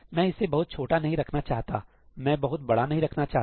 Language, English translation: Hindi, I do not want to make it too small; I do not want to make it too large